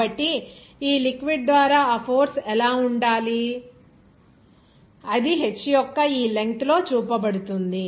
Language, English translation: Telugu, So, what should be that force exerted by that liquid that is shown in within this length of h there